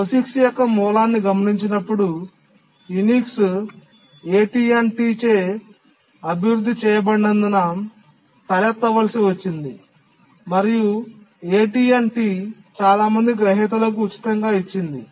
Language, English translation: Telugu, If we look at the origin of POGICS, it had to arise because Unix once it was developed by AT&T, it gave it free to many recipients